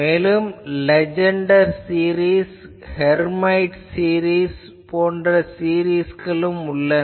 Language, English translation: Tamil, Also there are other series Legendre series, Hermite series etc